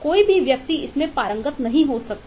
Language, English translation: Hindi, no individual can master and capture that